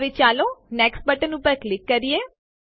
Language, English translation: Gujarati, Now let us click on the Next button